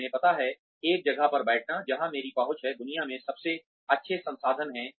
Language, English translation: Hindi, You know, sitting in a place, where I have access to, the best resources in the world